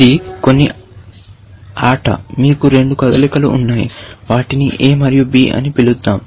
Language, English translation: Telugu, This is some game in which, you have two moves; let us call them, a and b